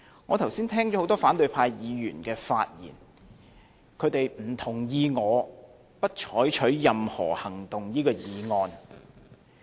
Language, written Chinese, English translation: Cantonese, 我剛才聽到很多反對派議員的發言，他們不同意我不得就譴責議案採取任何行動的這項議案。, I just heard many members from the opposition party said that they disagreed with my motion of no further action be taken on the censure motion